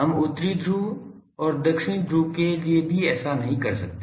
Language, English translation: Hindi, We cannot do that for North Pole and South Pole